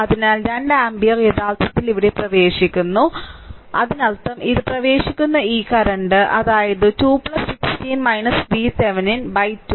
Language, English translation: Malayalam, So, 2 ampere actually entering here right; it is entering here; that means, this current this is entering, this is entering; that means, 2 plus 16 minus V Thevenin divided by 2 is equal to V Thevenin divided by 6 right